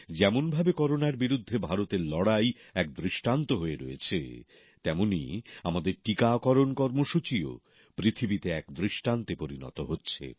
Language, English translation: Bengali, Just as India's fight against Corona became an example, our vaccination Programme too is turning out to be exemplary to the world